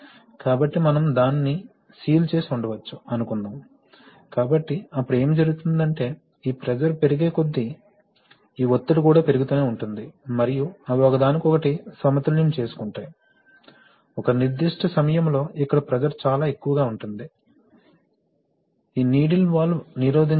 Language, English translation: Telugu, So suppose we, or we might have sealed it, so then what happens is that, as this pressure rises, this pressure will also keep rising and they will balance each other, at a certain point of time the pressure here will be too much, for this needle valve to resist